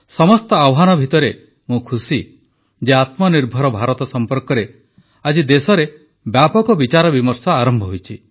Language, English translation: Odia, Amidst multiple challenges, it gives me joy to see extensive deliberation in the country on Aatmnirbhar Bharat, a selfreliant India